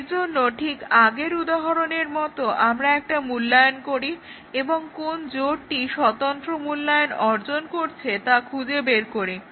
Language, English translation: Bengali, Just like the previous examples and find out which pairs achieve independent evaluation